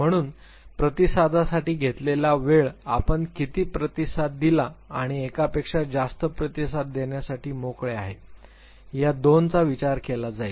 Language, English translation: Marathi, So, the time taken to respond is taken into account one two how many responses did you give you or free to give more than one response